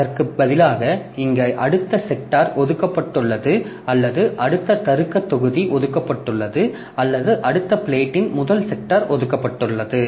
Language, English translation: Tamil, So, instead of that, so this next sector is assigned, the next logical block is assigned on the first sector of the next next plate